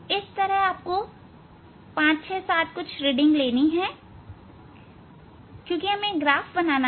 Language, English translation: Hindi, this a you should have 5 6 7 reading because we have to plot graph